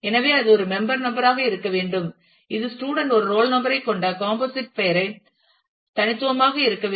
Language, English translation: Tamil, So, it should be there will be a member number which is has to be unique the composite name the student has a roll number